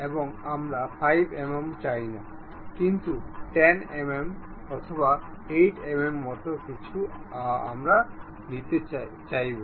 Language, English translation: Bengali, And we do not want 5 mm, but 10 mm; but something like 8 mm we are interested in